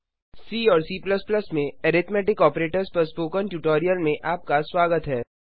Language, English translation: Hindi, Welcome to the spoken tutorial on Arithmetic Operators in C C++